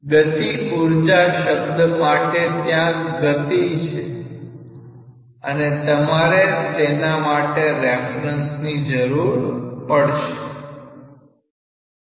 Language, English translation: Gujarati, For the kinetic energy term, there is a velocity and you require a reference for that